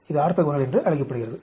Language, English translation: Tamil, It is called orthogonal